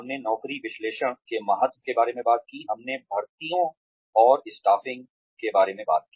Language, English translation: Hindi, We talked about, the importance of job analysis and we talked about, recruitments and staffing